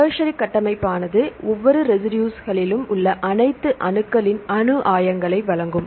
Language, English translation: Tamil, The tertiary structure will provide the atomic coordinates of all the atoms in each residue